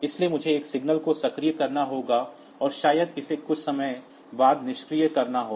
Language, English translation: Hindi, So, I have to I have activated one signal and maybe it has to be deactivated after some time